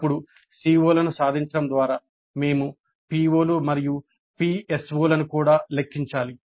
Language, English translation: Telugu, Then via the attainment of the COs we need to compute the attainment of POs and PSOs also